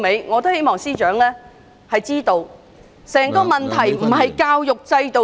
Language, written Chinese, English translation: Cantonese, 我希望司長知道，歸根究底，問題並非出於教育制度......, I hope the Secretary understands that the root cause does not lie in the education system